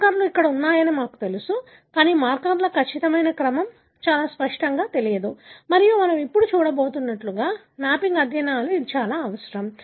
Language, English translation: Telugu, We know that the markers are present here, but exact order of the markers are not very, very clear and they are very, very essential for mapping studies, like we are going to see now